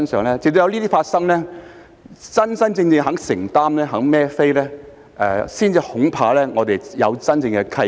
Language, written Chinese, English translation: Cantonese, 恐怕直到有這些事情發生，官員真正願意承擔和"孭飛"，我們才有真正的契機。, I am afraid that we will not have real opportunities until these things happen that is officials are really willing to stay committed and take full accountability